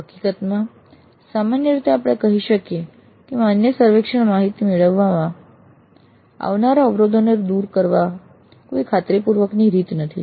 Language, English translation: Gujarati, In fact, in general we can say there is no guaranteed way of overcoming the obstacles to getting valid survey data